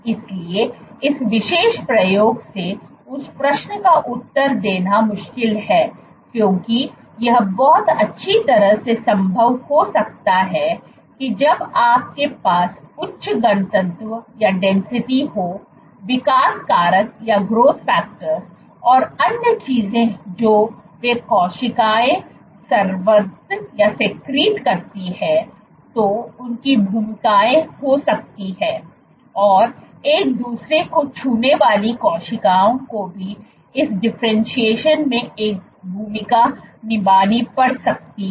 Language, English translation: Hindi, so however, this particular experiment it is difficult to answer that question because it can very well be possible that when you have high density, the growth factors, other things that they the cells secrete might have a role to play, also the cells touching each other might also have a role to play in this differentiation